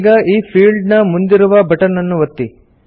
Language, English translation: Kannada, Now, click on button next to this field